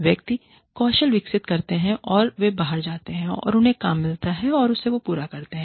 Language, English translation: Hindi, Individuals, develop the skills, and they go out, and they get the job, done